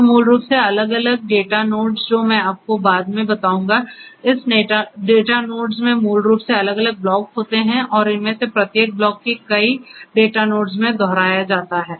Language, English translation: Hindi, So, basically the different data nodes which I will tell you later on, this data nodes basically have different blocks and each of these blocks is replicated across multiple data nodes